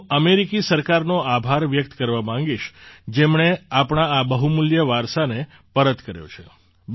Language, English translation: Gujarati, I would like to thank the American government, who have returned this valuable heritage of ours